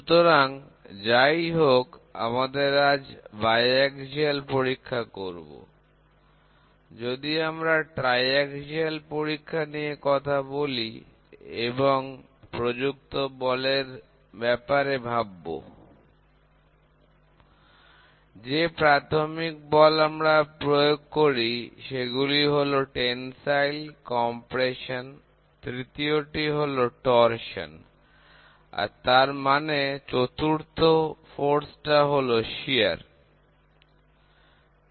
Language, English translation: Bengali, So, we try to do biaxial testing today, what we talk about is triaxial testing and when we talk about forces, the basic forces are going to be one is tensile, the other one is compression and the third one is going to be torsion and the fourth one going to be shear